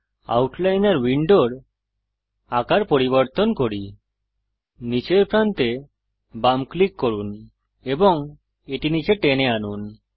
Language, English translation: Bengali, Let us resize the Outliner window Left click the bottom edge and drag it down